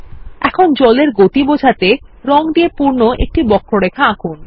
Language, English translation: Bengali, Now let us draw a curve filled with color to show the movement of water